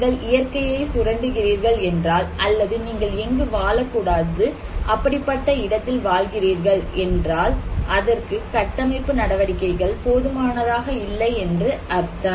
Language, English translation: Tamil, So, if you are ever exploiting the nature, if you are exploit, if you are living where you should not live, then structural measures is not enough